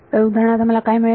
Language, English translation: Marathi, So, for example, what I will get